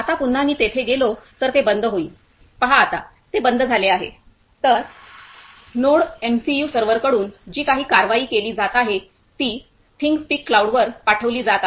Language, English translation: Marathi, Now once again if I go there it will be turned off, see now it is turned off; so, whatever action is being taken by NodeMCU server that is being sent to ThingSpeak cloud